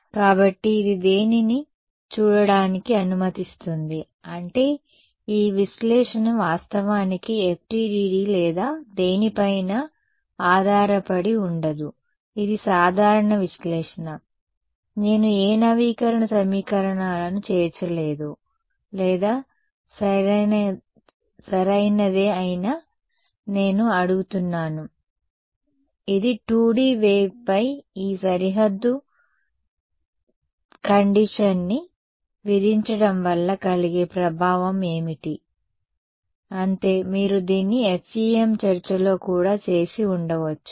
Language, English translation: Telugu, So, this allows us to see ah, I mean this analysis actually does not depend on FDTD or anything, it is a general analysis, I have not included any update equations or whatever right, I am what I am asking in this, what is the effect of imposing this boundary condition on a 2D wave that is all, you could have done this in the FEM discussion as well